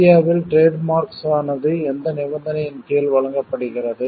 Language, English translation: Tamil, Under what conditions is a trademark granted in India